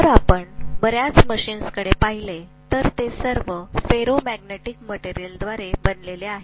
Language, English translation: Marathi, If you look at most of the machines, they are all made up of ferromagnetic material